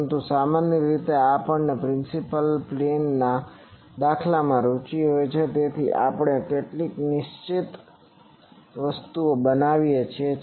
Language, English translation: Gujarati, But generally we are interested in the principal plane patterns, so we keep some fixed